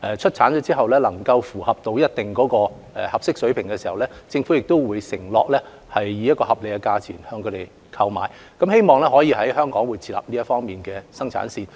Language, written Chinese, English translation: Cantonese, 出產的口罩如符合一定的要求，政府會承諾以合理的價錢購買，希望可以在香港設立這方面的生產線。, If the face masks produced are up to a certain standard the Government will undertake to purchase them at a reasonable price hoping that production lines can be set up in Hong Kong